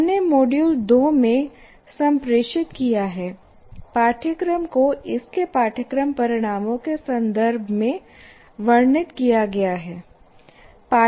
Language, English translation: Hindi, We have said we have communicated this in module two but to restate a course is described in terms of its course outcomes